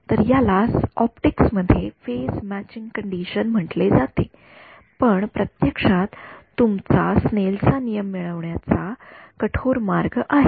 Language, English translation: Marathi, So, that is what is called in optics the phase matching condition, this is actually the rigorous way of deriving yours Snell’s laws ok